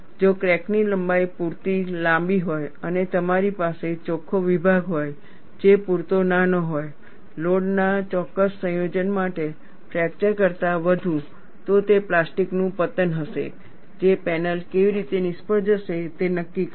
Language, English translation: Gujarati, If the crack length is sufficient be long enough, and you have the net section which is small enough, for a particular combination of loads, more than fracture, it would be plastic collapse, that would dictate how the panel will fail